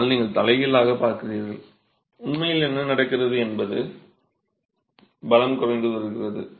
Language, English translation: Tamil, But you look at the reverse, what's actually happening is your strength is decreasing